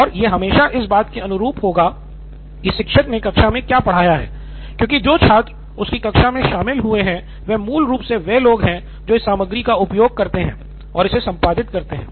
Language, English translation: Hindi, And it will always be in line with what the teacher has taught in class because the students who have attended her class are basically the people who go on and edit at this content